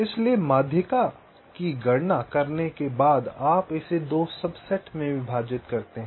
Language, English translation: Hindi, the idea is as follows: so after calculating the median, you divide it up into two subsets